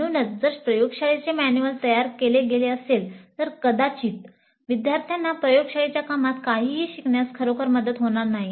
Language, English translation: Marathi, So if that is the way the laboratory manuals are prepared, probably they would not really help the students to learn anything in the laboratory work